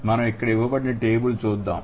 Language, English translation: Telugu, So, let's look at the table given here